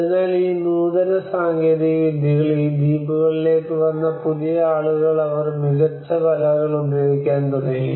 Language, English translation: Malayalam, So these advanced techniques these newcomers into these islands they started using the fine nets